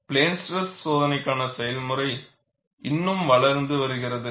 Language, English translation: Tamil, The procedure for plane stress testing is still developing